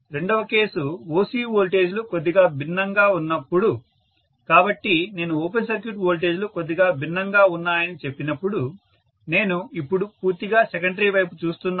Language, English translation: Telugu, The second case is when OC voltages are slightly different, so when I say that open circuit voltages are slightly different, I am looking at now the secondary side completely